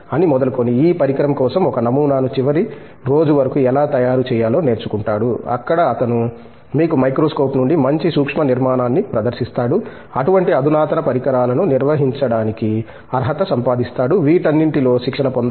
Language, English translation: Telugu, Starting from, how to prepare a sample for that instrument to the last day where he will demonstrate good micro structure from such a microscope to be able to you know make himself you know eligible to handle such kind of sophisticated instruments, all these need to be trained